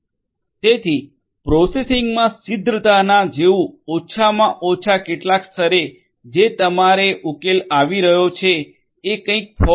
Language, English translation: Gujarati, So, that promptness in the processing at least to some level that can be done with something in your solution that is coming up which is the fog